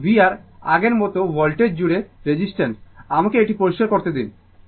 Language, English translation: Bengali, So, v R same as before this voltage across resistance, let me clear it